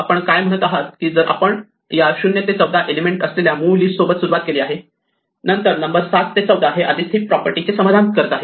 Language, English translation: Marathi, What we are saying is that if we start with the original list of say elements 0 to 14, then the numbers 7 to 14 already satisfy the heap property